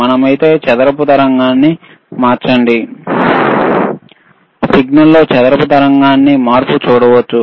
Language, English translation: Telugu, If we change the square wave we can see change in signal to square wave